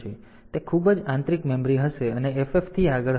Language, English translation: Gujarati, So, that much will be internal memory and from FF onwards